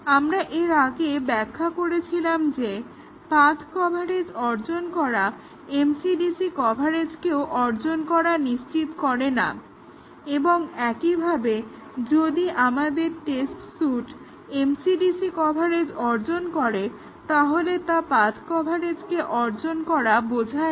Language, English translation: Bengali, We had defined it earlier that achieving path coverage does not ensure that we have achieved MCDC coverage and similarly, if our test suite achieves MCDC coverage does not mean that we have achieved path coverage